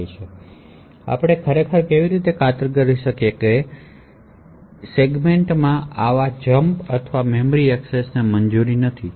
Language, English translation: Gujarati, So how do we actually ensure that such jumps or memory accesses are not permitted within a segment